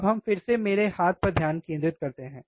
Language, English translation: Hindi, Now, we can focus again on my hand, yes